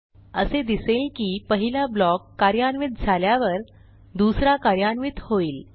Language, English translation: Marathi, we see that after the first block is executed, the second is executed